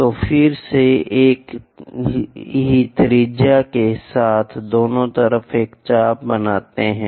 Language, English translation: Hindi, So, from there again with the same radius make an arc on both sides